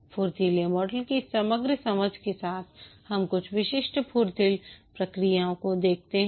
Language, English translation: Hindi, With this overall understanding of the Agile model, let's look at some specific agile processes